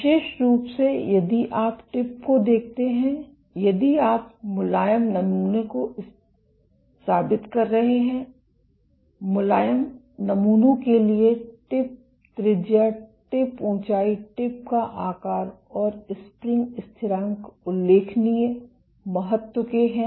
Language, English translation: Hindi, Particularly if you look at the tip, if you are proving soft samples; for soft samples the tip radius, the tip height, the tip shape and the spring constant are of notable importance